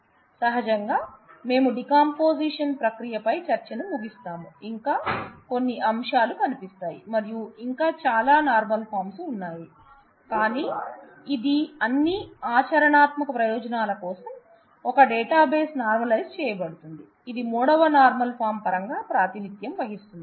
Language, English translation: Telugu, Naturally with that, we will conclude our discussion on the decomposition process, there are there would be some more aspects to look at and there is lot of more normal forms that exist